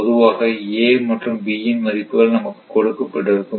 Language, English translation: Tamil, In general, we have given a and b right